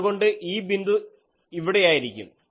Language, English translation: Malayalam, So, this point he has connected like this